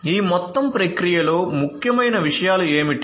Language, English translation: Telugu, So, in this entire process what are the things that are important